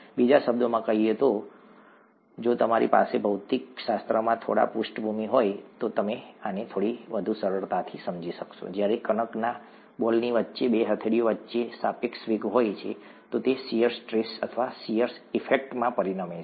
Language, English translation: Gujarati, In other words, if you have some background in physics, you would understand this a little more easily when there is a relative velocity between the two palms with the dough ball caught in between, then it results in shear stress, or shear effects, as you can call